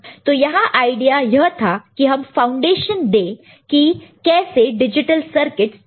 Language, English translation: Hindi, So, the idea here was to give you an idea or foundation and how digital circuits can be made around it